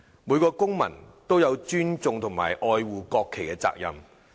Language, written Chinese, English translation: Cantonese, 每個公民都有尊重和愛護國旗的責任。, Each citizen has the responsibility to respect and love the national flag